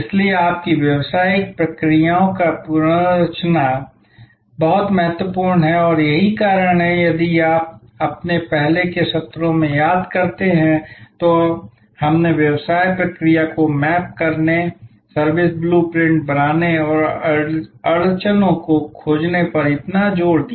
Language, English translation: Hindi, So, reengineering of your business processes is very important and that is why if you remember in our earlier sessions we led so much emphasis on mapping the business process, creating the service blue print and finding the bottlenecks